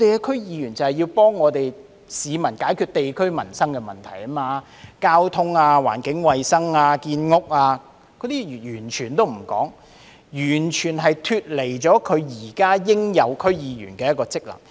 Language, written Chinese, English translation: Cantonese, 區議員是要幫助市民解決地區的民生問題，如交通、環境衞生、建屋等問題，所以他們完全沒有履行區議員應有的職能。, The DC members have completely failed to perform their functions . DC members are expected to help residents solve livelihood issues in the districts eg . transportation environmental hygiene building issues etc they have thus completely failed to perform the due functions of DC members